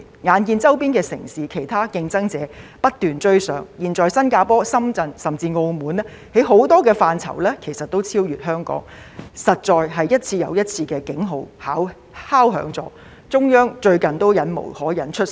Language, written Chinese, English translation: Cantonese, 眼見周邊城市及其他競爭者不斷追上，現在新加坡、深圳甚至澳門在很多範疇上其實都已超越香港，實在是一次又一次的敲響了警號，最近中央都忍無可忍出手。, During this period of time our neighbouring cities and other competitors have been catching up and now Singapore Shenzhen and even Macao have already overtaken Hong Kong in many fields . Alarm bells have actually been raised time and again for us . Recently the Central Authorities could not put up with it any longer and took action